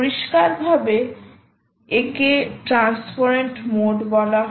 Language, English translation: Bengali, clearly, this is called transparent mode